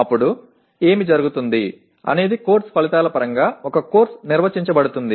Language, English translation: Telugu, Then what happens is a course is defined in terms of course outcomes